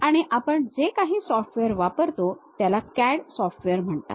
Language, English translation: Marathi, And the software whatever we use is popularly called as CAD software